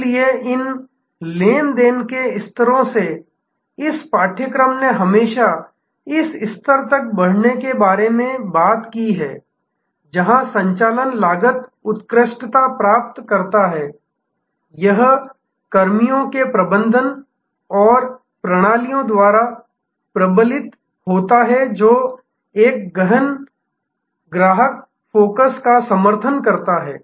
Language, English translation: Hindi, So, from these transactional levels, this course has always talked about how to rise to this level, where the operations continually excel, it is reinforced by personnel management and system that support an intense customer focus